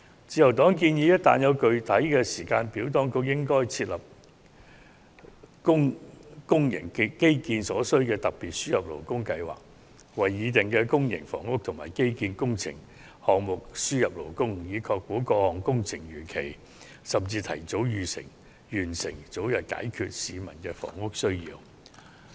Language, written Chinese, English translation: Cantonese, 自由黨建議一旦得出具體時間表，便應訂立為公營基建而設的特別輸入勞工計劃，就建議的公營房屋及基建工程項目輸入勞工，以確保各項工程能如期甚至提早完成，早日解決市民的房屋需要。, The Liberal Party suggests that once a concrete timetable has been drawn up a special labour importation scheme should be formulated for public infrastructure works under which workers will be imported for the implementation of various proposed public housing and infrastructure projects in order to ensure the timely and even early completion of such projects to meet the housing needs of the people as early as possible